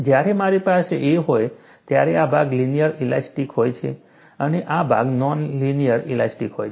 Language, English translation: Gujarati, When I have a, this portion is linear elastic, and this portion is non linear elastic